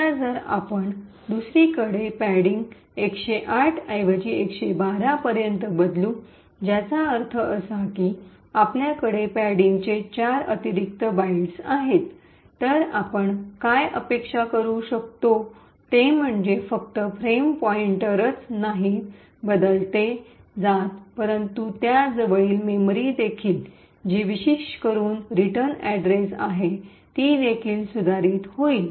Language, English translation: Marathi, Now if on the other hand we change padding from 108 to 112 which means that we have four extra bytes of padding, what we can expect is that it is not just the frame pointer that gets manipulated but also the adjacent memory which essentially is the return address would also get modified